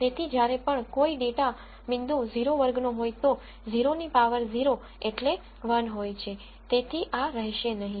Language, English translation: Gujarati, So, whenever a data point belongs to class 0 anything to the power 0 is 1 so, this will vanish